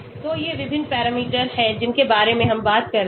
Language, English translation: Hindi, So these are the various parameters, which we are talking about